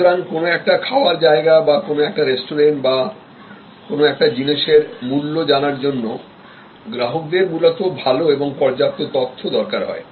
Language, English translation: Bengali, So, to decide on a food outlet, to decide on a restaurant or to choose a price for a commodity, fundamentally the customer needs good and enough sufficient information